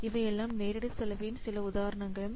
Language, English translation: Tamil, So, these are examples of direct cost here